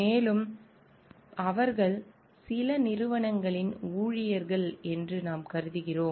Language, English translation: Tamil, And there mostly we consider like, they are employees of certain organizations